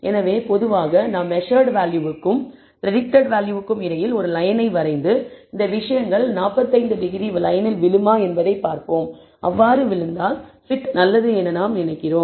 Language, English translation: Tamil, So, typically we will draw a line between the y the measured value and the predicted value and see whether it is these things fall on the 45 degree line and if it does then we think that the t is good